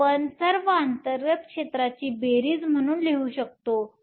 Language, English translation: Marathi, This we will write as sum of all the internal fields